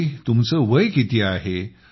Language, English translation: Marathi, And how old are you